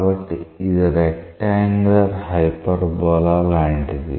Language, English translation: Telugu, So, it is like a rectangular hyperbola type